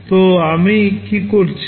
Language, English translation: Bengali, So, what I am doing